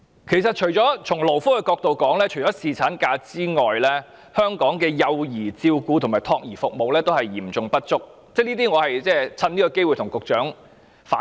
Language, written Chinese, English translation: Cantonese, 其實，如果從勞工福利角度來看，除了侍產假外，香港的幼兒照顧和託兒服務也是嚴重不足的，我想藉今天的機會向局長反映。, In fact from the perspective of labour welfare apart from paternity leave the child care services in Hong Kong are also seriously inadequate which I want to take this opportunity to tell the Secretary